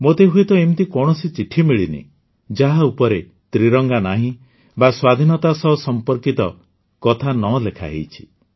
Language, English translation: Odia, I have hardly come across any letter which does not carry the tricolor, or does not talk about the tricolor and Freedom